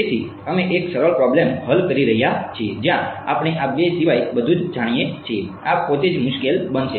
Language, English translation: Gujarati, So, we are solving a simpler problem where we know everything except these two these itself is going to be difficult